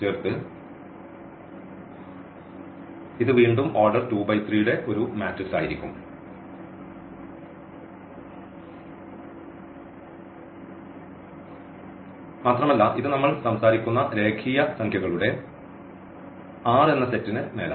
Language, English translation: Malayalam, So, this will be again a matrix of order 2 by 3 and this is also over this R set of real numbers we are talking about